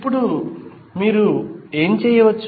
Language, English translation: Telugu, Now, what you can do